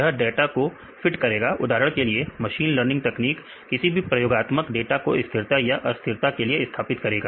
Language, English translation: Hindi, This will fit the data for example; a machine learning techniques fit the experimental data for stabilizing or destabilizing